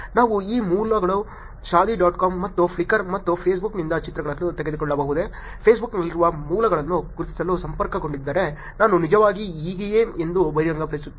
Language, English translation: Kannada, Can we actually take these sources, shaadi dot com and pictures from Flickr and Facebook, connected to identify sources which are on Facebook, I would actually reveal that I am so and so on